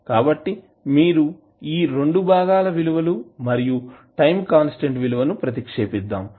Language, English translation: Telugu, So, you put the value of these 2 components and time constant value